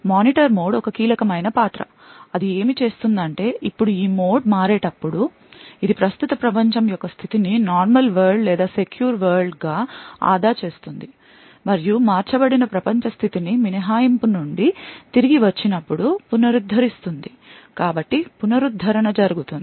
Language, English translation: Telugu, Now the Monitor mode is a crucial role during this mode switching first what it does is that it saves the state of the current world that is either normal world or the secure world and restores the state of the world that is switched to so the restoration is done when there is a return from an exception